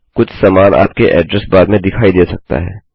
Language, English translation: Hindi, Something similar may have appeared in your address bar